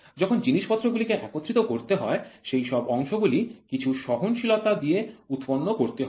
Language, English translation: Bengali, When assembly has to happen parts have to be produced with tolerance